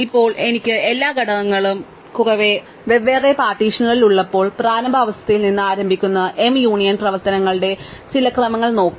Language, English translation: Malayalam, So, now let us look at some sequence of m union operations starting from the initial condition when I have all elements in separate partitions